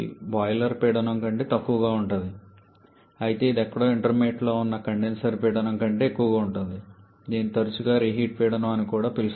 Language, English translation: Telugu, So, here this pressure P 4 is less than the boiler pressure but it is greater than the condenser pressure somewhere intermediate which is often called the reheat pressure also